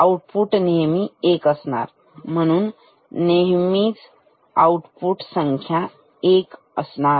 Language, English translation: Marathi, Output is always 1, so number of output is always 1